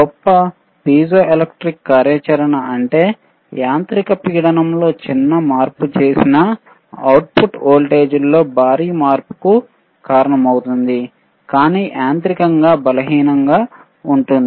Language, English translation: Telugu, So, this is tThe greatest piezoelectric activity; that means, that a small change in mechanical pressure can cause a huge change in output voltage, but is mechanically weakest